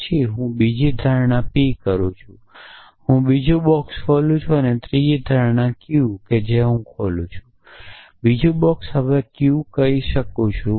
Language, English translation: Gujarati, Then I make another assumption p, I open another box and third assumption q which I open, another box and now I can say